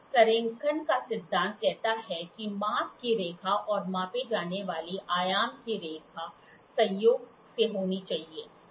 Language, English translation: Hindi, The principle of alignment states that the line of measurement and the line of dimension being measured should be coincident